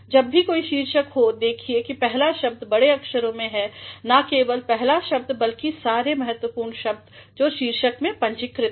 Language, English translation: Hindi, Whenever there is a title see to it that the first word is capital and not only the first word but all the important words in the title are also to be capitalized